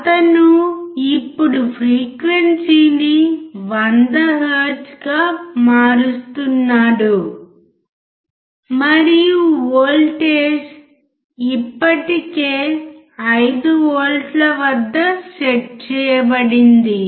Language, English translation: Telugu, He is now changing the frequency to 100 hertz and the voltage is already set at 5V